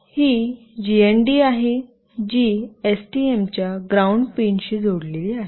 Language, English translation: Marathi, This is the GND, which is connected to ground pin of STM